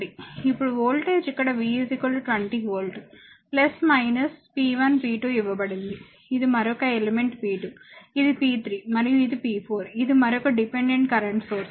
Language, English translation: Telugu, Now voltage is given v is equal to 20 volt plus minus p 1 p 2 here, this is another element p 2, this is p 3 and this is p 4, this is another dependent current source